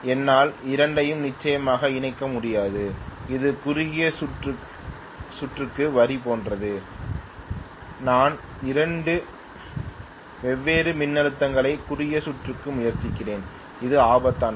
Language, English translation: Tamil, I cannot connect definitely the two then it is like line to line short circuit, I am trying to short circuit two different voltages, which is deadly